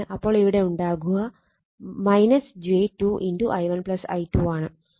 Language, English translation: Malayalam, You will get i 1 is equal to 1